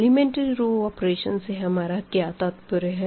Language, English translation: Hindi, So, what do you mean by elementary row operations